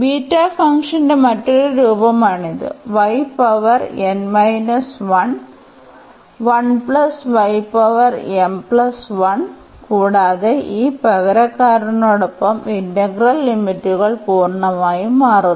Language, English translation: Malayalam, So, this is another form of the beta function given here y power n minus 1 and 1 plus y power m plus 1 and we should note that with this substitution the integral limits change completely